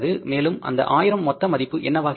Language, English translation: Tamil, And what is the total value becomes